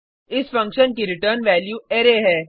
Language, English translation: Hindi, The return value of this function is an Array